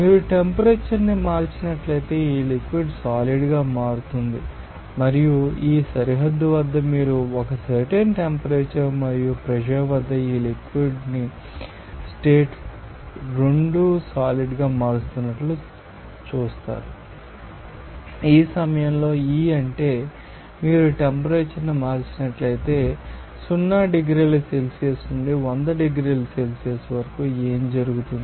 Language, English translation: Telugu, So, here this how at a particular you know pressure if you change the temperature this liquid will be converting into solid and at this boundary, you will see that at a particular temperature and pressure this liquid just changing its you know state 2 it is solid similarly, at this point E what does it mean that if you know change the temperature from 0 degree Celsius to you know that 100 degrees Celsius, what will happen